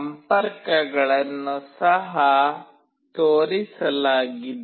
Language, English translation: Kannada, The connections are also shown